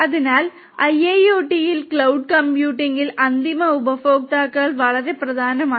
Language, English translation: Malayalam, So, end users are very important in cloud computing in IIoT